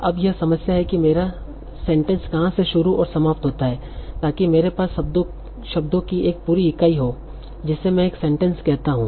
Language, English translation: Hindi, So problem of deciding where my my sentence begins and ends so that I have a complete unit of words that I call as a sentence